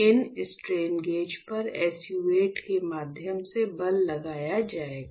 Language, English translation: Hindi, So, the force will be applied to these strain gauge through SU 8